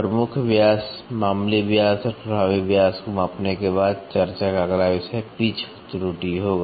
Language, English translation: Hindi, After measuring the major diameter minor diameter and the effective diameter; the next topic of discussion is going to be the pitch error